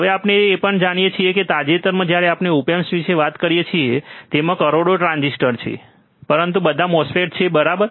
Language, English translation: Gujarati, Now we also know that recently when we talk about op amps, it has billions of transistors, but all are MOSFETs, right